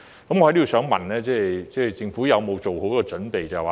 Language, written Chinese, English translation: Cantonese, 我在此想問政府有否做好準備？, I would like to ask the Government whether it has made any preparations